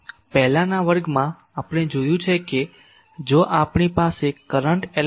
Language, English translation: Gujarati, In previous class we have seen that if we have a current element I